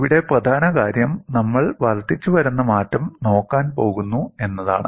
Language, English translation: Malayalam, And the key point here is, we are going to look at incremental change